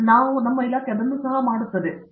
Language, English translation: Kannada, So, we do that also